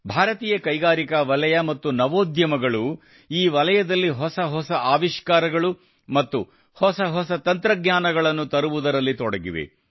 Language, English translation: Kannada, Indian industries and startups are engaged in bringing new innovations and new technologies in this field